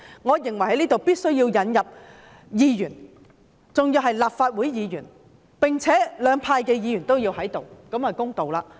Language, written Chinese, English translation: Cantonese, 我認為必須加入議員，而且是立法會議員，並要加入兩派的議員，這樣才公道。, I think it is necessary to include Members and to be specific Members of the Legislative Council in such a committee . In addition for the sake of fairness Members from both camps should also be included